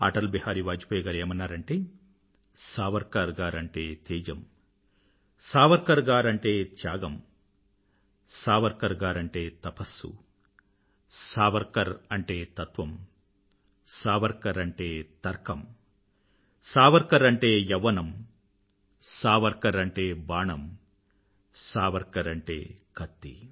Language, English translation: Telugu, Atal ji had said Savarkar means brilliance, Savarkar means sacrifice, Savarkar means penance, Savarkar means substance, Savarkar means logic, Savarkar means youth, Savarkar means an arrow, and Savarkar means a Sword